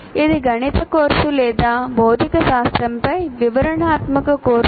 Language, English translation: Telugu, Is it a mathematics course or is it a descriptive course on material science